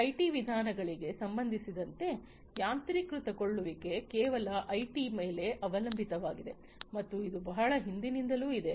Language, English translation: Kannada, With respect to now these IT methodologies, automation is solely dependent on IT and this has been there again since long